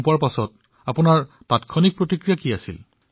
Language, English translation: Assamese, So, when it happened to you, what was your immediate response